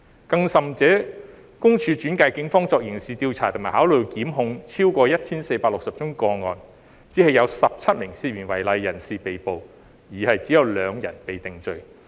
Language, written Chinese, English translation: Cantonese, 更甚者，私隱公署轉介了超過 1,460 宗個案予警方作刑事調査及考慮檢控，只有17名涉嫌違例人士被捕，只有2人被定罪。, Worse still PCPD had referred over 1 460 cases to the Police for criminal investigation and consideration of prosecution but only 17 persons were arrested for suspected contravention and only two were convicted